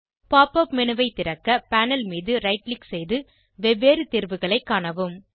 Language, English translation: Tamil, Right click on the panel to open the Pop up menu and check the various options